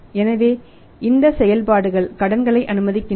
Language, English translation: Tamil, So, operations allow credits